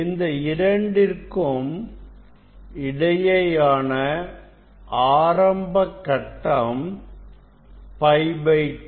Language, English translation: Tamil, initial phase between these two is pi by 2